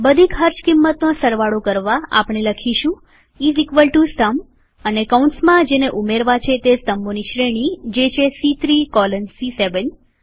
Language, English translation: Gujarati, In order to add all the costs, well typeis equal to SUM and within braces the range of columns to be added,that is,C3 colon C7